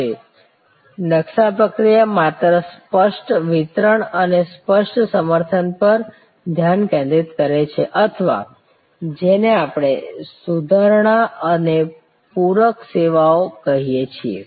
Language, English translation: Gujarati, Now, the blue print process only focuses on explicit deliveries and explicit supports or what we call enhancing and supplement services